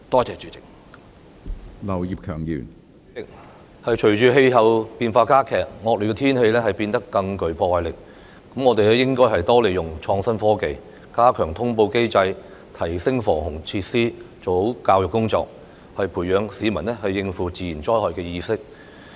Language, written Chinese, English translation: Cantonese, 主席，隨着氣候變化加劇，惡劣天氣變得更具破壞力，我們應該多利用創新科技，加強通報機制，提升防洪設施，完善教育工作，培養市民應付自然災害的意識。, President intensifying climate change has caused inclement weather to become more destructive . We should increase the application of innovative technology enhance the notification mechanism upgrade the flood prevention facilities and improve the work of education to develop among the public the awareness of how to deal with natural disasters